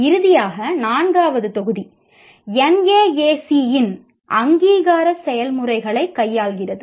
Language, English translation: Tamil, And then finally, the fourth module deals with the accreditation processes of NAC